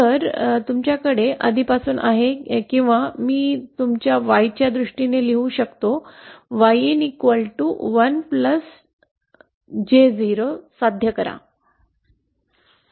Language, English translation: Marathi, So you have already or I can write in terms of Y in you have to achieve 1 plus J 0